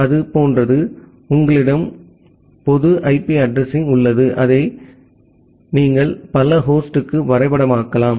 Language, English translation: Tamil, It is like that, you have a single public IP address which you can map to multiple host